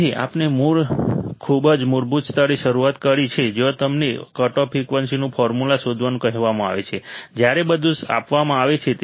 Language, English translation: Gujarati, So, we have started at a very basic level where you are you are asked to find the formula of a cutoff frequency, while given everything is given